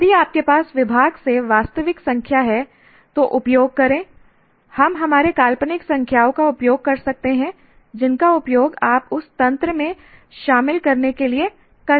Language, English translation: Hindi, Use if you have actual numbers from the department you can use or hypothetical numbers you can use to understand the mechanisms involved in that